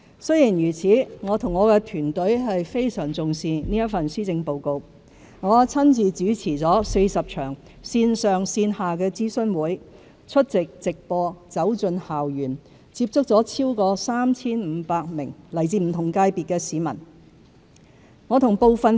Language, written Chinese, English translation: Cantonese, 儘管如此，我和我的團隊非常重視這份施政報告；我親自主持了40場線上線下的諮詢會、出席直播、走進校園，接觸了超過 3,500 名來自不同界別的市民。, Despite this my team and I attach great importance to this Policy Address . I have personally chaired 40 online and offline consultation sessions attended live programmes and visited school campuses meeting with over 3 500 members of the public from different sectors of the community